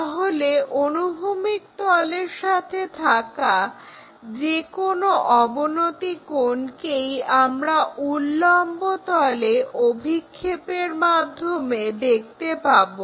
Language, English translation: Bengali, So, any inclination angle with hp we will be seeing that by projecting onto that vertical plane